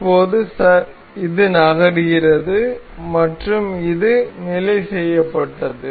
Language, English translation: Tamil, So, now, this is moving and this is fixed